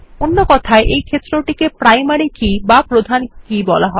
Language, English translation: Bengali, In other words this field is also called the Primary Key